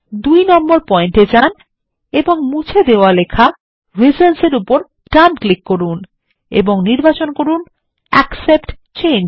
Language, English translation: Bengali, Go to point 2 and right click on the deleted text reasons and say Accept Change